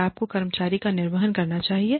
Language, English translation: Hindi, Should you discharge the employee